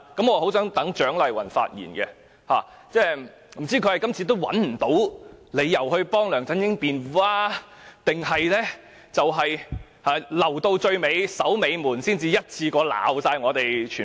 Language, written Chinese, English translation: Cantonese, 我很想聽蔣麗芸議員發言，不知道她是找不到理由替梁振英辯論，還是要留到最後才批評我們？, I really want to hear Dr CHIANG Lai - wan speak; I do not know if she cannot find reasons to defend LEUNG Chun - ying or she wants to wait until the last moment to criticize us